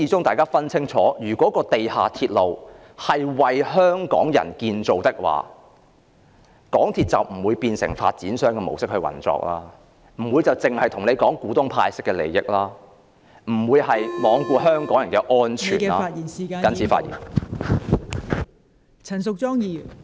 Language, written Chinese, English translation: Cantonese, 大家要分清楚，如果地下鐵路由始至終是為香港人建造的話，港鐵公司就不會變成以發展商的模式運作，不會只顧及向股東派息，不會罔顧香港人的安全.....謹此發言。, We should be clear that if MTR is a railway for Hong Kong people MTRCL should have never operated like a developer with the mere purpose of paying dividends to its shareholders while neglecting the safety of the public I so submit